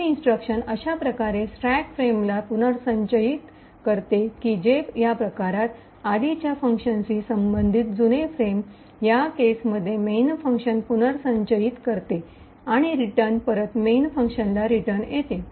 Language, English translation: Marathi, The leave instruction essentially restores the stack frame such that the old frame corresponding to the previous function in this case the main function is restored, and the return would then return back to the main function